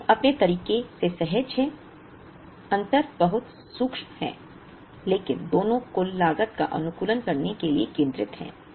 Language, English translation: Hindi, Both of them are intuitive in their own way, the difference is very subtle but both of them are centered around optimizing the total cost